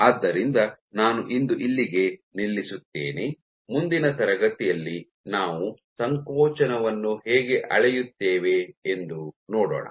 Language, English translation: Kannada, So, I stop here for today in the next class we will see how do we go about measuring contractility